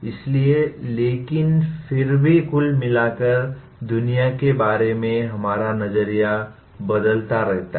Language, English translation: Hindi, So but still in the net our view of the world keeps changing as we learn